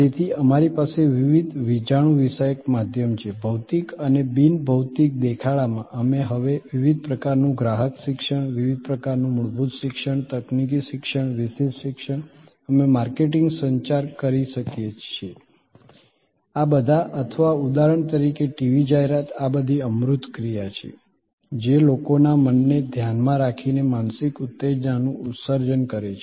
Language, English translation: Gujarati, So, we have across different electronic media, across physical presents and non physical presents, we can now create different kind of customer education, different kind of basic education, technical educations, specialize education, we can do marketing communication, these are all or a TV ad for example, these are all intangible action directed at minds of people, sort of mental stimulus creation